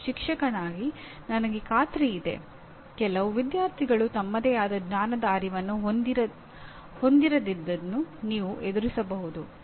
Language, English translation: Kannada, And I am sure as a teacher you would have faced some students not being aware of their own level of knowledge